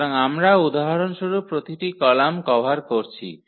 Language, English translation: Bengali, So, we are covering each column for instance here